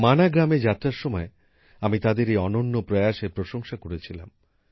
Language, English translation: Bengali, During my visit to Mana village, I had appreciated his unique effort